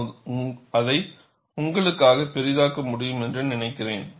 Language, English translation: Tamil, I think I can magnify it for you